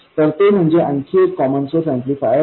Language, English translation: Marathi, So how did we do that with the common source amplifier